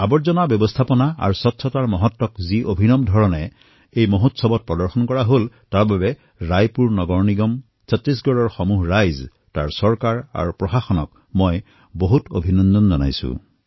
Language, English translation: Assamese, For the innovative manner in which importance of waste management and cleanliness were displayed in this festival, I congratulate the people of Raipur Municipal Corporation, the entire populace of Chhattisgarh, its government and administration